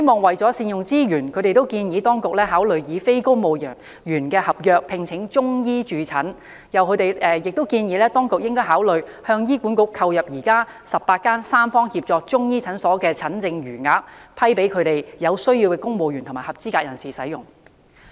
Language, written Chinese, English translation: Cantonese, 為善用資源，他們建議當局考慮以非公務員合約聘請中醫駐診，並建議當局應考慮向醫院管理局購入現時18間三方協作的中醫教研中心的診症餘額，給予有需要的公務員和合資格人士使用。, They advise that in order to make full use of resources the authorities should consider employing Chinese medicine practitioners on non - civil service contract terms to work in these clinics . They also advise that the authorities should consider purchasing from the Hospital Authority HA the unused consultation quotas in the 18 Chinese Medicine Centres for Training and Research operated under tripartite collaboration for use by civil servants in need and eligible persons